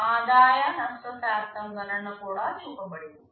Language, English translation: Telugu, The percentage revenue loss calculation is also shown